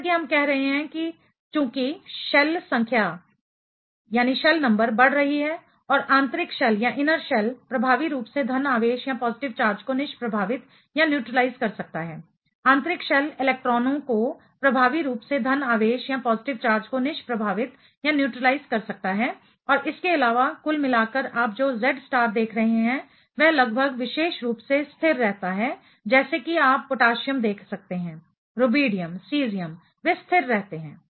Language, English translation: Hindi, As we are saying the since the shell number is increasing inner shell can effectively neutralize the positive charge, inner shell electrons can effectively neutralize the positive charge and thereby, overall what you are seeing the Z star remain almost constant as specifically if you can see potassium, rubidium, cesium, they remain constant